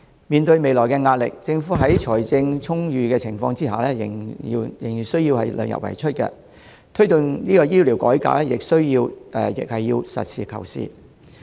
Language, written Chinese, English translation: Cantonese, 面對未來的壓力，政府在財政充裕的情況下仍然要量入為出，推動醫療改革時亦要實事求是。, Considering the future pressure the Government despite its strong financial position still needs to keep expenditure within the limits of revenues and has to be practical and realistic when promoting healthcare reform